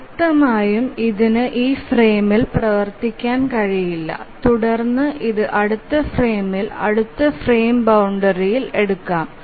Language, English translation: Malayalam, Obviously it cannot run on this frame and then it can only be taken up in the next frame, next frame boundary